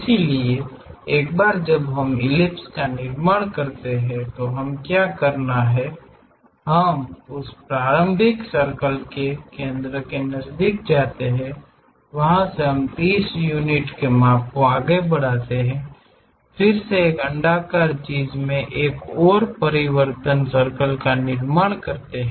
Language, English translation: Hindi, So, once we construct this ellipse what we have to do is, we know the center of that initial circle from there we go ahead by 30 units up, again construct one more transform circle into this elliptical thing